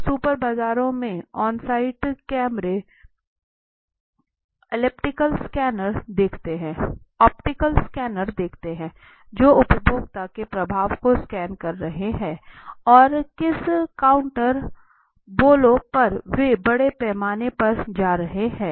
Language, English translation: Hindi, Now lets see this onsite cameras optical scanners in super markets which is scanning the flow of the consumer and in which counters they are going in large and in which counters they are like this